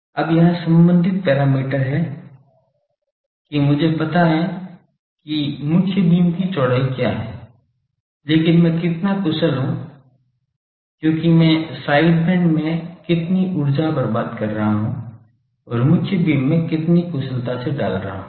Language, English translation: Hindi, Now, there is related parameter that, I know that what is the main beams width, but how much efficient I am, because that how much energy I am wasting in the side bands and the how much efficiently putting into the main beam